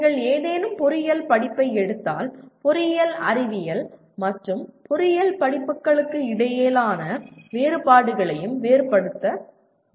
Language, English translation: Tamil, If you take any engineering course, one must differentiate also differences between engineering science and engineering courses